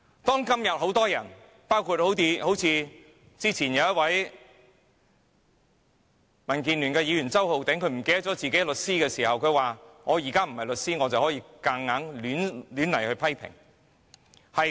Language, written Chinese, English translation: Cantonese, 當今有很多人包括剛才民建聯的周浩鼎議員，他忘記自己的律師身份說："我現在不是律師，可以任意批評"。, Today many people including Mr Holden CHOW from the Democratic Alliance for the Betterment and Progress of Hong Kong who has forgotten his identity as a lawyer and said earlier that I am not a lawyer now so I can make criticisms arbitrarily The seven police officers deserve the punishment